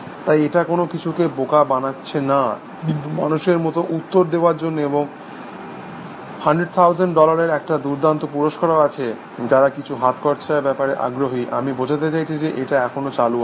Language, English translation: Bengali, So, it is not as here fooling something, but for human like response, and there is a grand prize of 100000 dollars, in case who interested in some pocket money, I mean say it is still open essentially